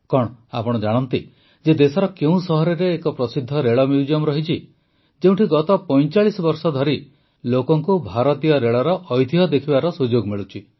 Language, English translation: Odia, Do you know in which city of the country there is a famous Rail Museum where people have been getting a chance to see the heritage of Indian Railways for the last 45 years